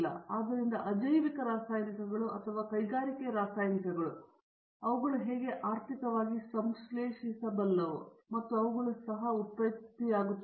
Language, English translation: Kannada, Okay therefore, the inorganic chemicals or even industrial chemicals, how they can be economically synthesize and they also produced that is the reason